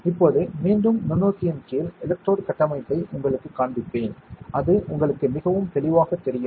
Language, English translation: Tamil, Now, I will show you the electrode structure also under the microscope again, so that it becomes very clear to you